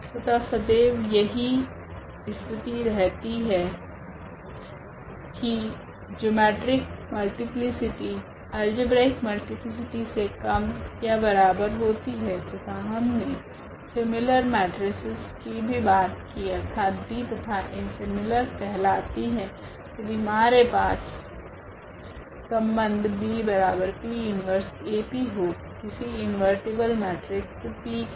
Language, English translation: Hindi, And always this is the case that geometric multiplicity is less than equal to the algebraic multiplicity and we have also talked about the similar matrices; that means, B and A are called the similar to each other they are the similar matrices, if we have this relation that B is equal to P inverse AP for some invertible matrix P